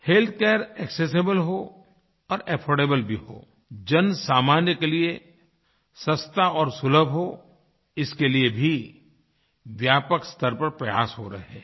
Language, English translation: Hindi, Efforts are being extensively undertaken to make health care accessible and affordable, make it easily accessible and affordable for the common man